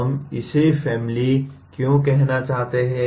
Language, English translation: Hindi, Why do we want to call it family